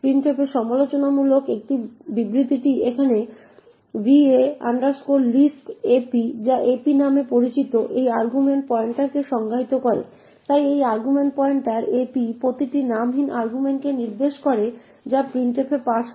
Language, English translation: Bengali, Critical in printf is this statement over here va list ap which defines an argument pointer known as ap, so this argument pointer ap points to each unnamed argument that is passed to printf